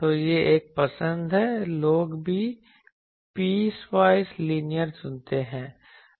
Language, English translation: Hindi, So, this is one choice also people choose piecewise linear